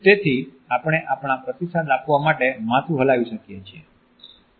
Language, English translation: Gujarati, So, we may nod our head in order to pass on our feedback